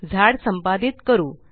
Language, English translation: Marathi, Now, lets edit the tree